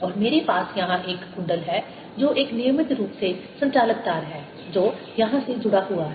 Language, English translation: Hindi, and i have here a coil which is a regular conducting wire with a resistance connected here